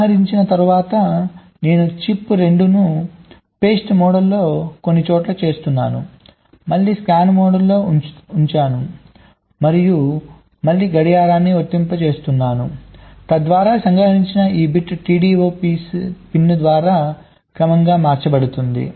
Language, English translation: Telugu, ok, then after capturing i am configuring the chip two in the shift mode again, again scan mode and again an applying clock, so that this bit which has captured will get serially shifted out through the t d o pin